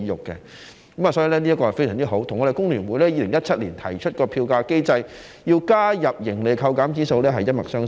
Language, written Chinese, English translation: Cantonese, 因此，這一點非常好，跟工聯會在2017年提出在票價機制中加入盈利扣減指數一脈相承。, This is a very good point which is in the same line as the proposal of FTU in 2017 to include a profit deduction index in the fare mechanism